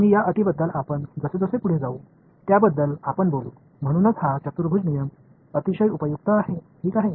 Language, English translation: Marathi, And, we will talk about those conditions as we go along ok, that is why this quadrature rule is very important useful rather ok